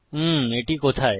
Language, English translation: Bengali, where is it